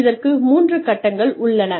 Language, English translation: Tamil, And, there are three phases to this